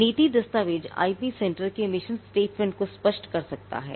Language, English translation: Hindi, Now, the policy document can spell out the mission statement of the IP centre